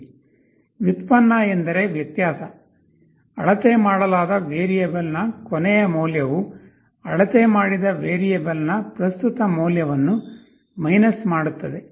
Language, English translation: Kannada, Derivative means the difference; last value of the measured variable minus the present value of the measured variable